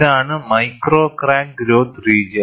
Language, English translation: Malayalam, This is the region of micro crack growth